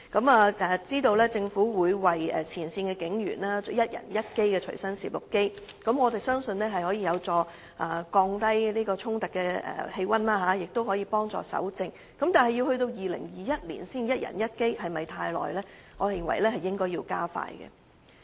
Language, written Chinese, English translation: Cantonese, 我得悉政府會為前線警務人員提供每人一部隨身攝錄機，相信這將有助紓緩警民衝突，亦可協助搜證，但到了2021年才可達到一人一機的目標，是否太遲？, I notice that the Government is now planning to provide each frontline police officer with a Body Worn Video Camera BWVC and consider this conducive to reducing clashes between the Police and the public as well as facilitating the collection of evidence . However would it be too late if the objective of providing each police officer with one BWVC could only be achieved by 2021?